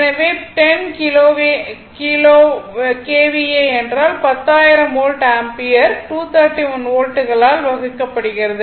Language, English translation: Tamil, So, 10 KVA means, 10,000 Volt Ampere divided by that 231 Volts